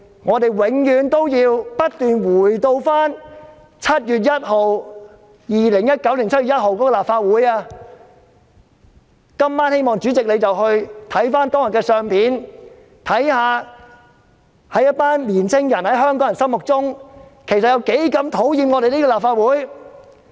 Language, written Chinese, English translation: Cantonese, 我們永遠也不要忘記2019年7月1日立法會的情況，希望主席今晚回去看看當天的相片，看看在香港年青人心目中，其實有多討厭我們這個立法會。, We will never forget what happened to the Legislative Council on 1 July 2019 . I hope that tonight President can have a look at the pictures of that day and see how much the young people of Hong Kong detest the Legislative Council